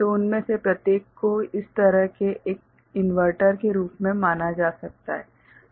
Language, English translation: Hindi, So, each one of them as such can be considered as an inverter right